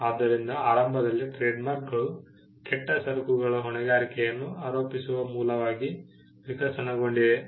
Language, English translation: Kannada, So, initially trademarks evolved as a source of attributing liability for bad goods